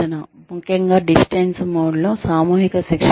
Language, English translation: Telugu, Especially, for mass training in distance mode